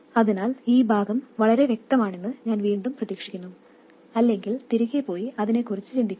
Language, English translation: Malayalam, So, again, I hope this part is very clear, otherwise, please go back and think about it